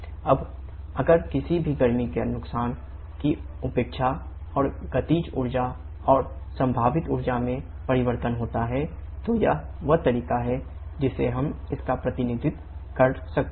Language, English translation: Hindi, Now if neglect any heat loss and changes in kinetic energy and potential energy then this is the way we can represent this